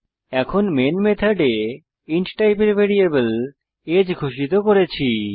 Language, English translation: Bengali, Now, inside the main method let us declare a variable age of type int